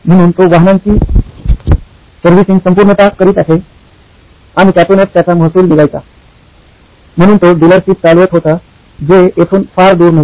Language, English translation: Marathi, So he used to do his servicing overhaul of vehicles and that’s where his revenue came from, he was running a dealership not too far from here